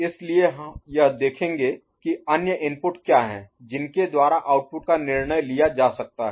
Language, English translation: Hindi, So, it will look at what are the other inputs by which the output will be decided